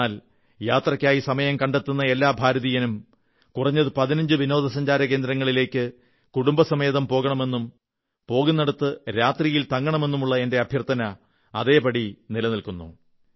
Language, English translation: Malayalam, But my appeal is, that every Indian who takes out time to travel must visit at least 15 Tourist Destinations of India with family and experience a night stay at whichever place you go to; this still remains my appeal